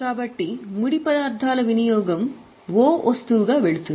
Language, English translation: Telugu, So, consumption of raw materials will go as a O item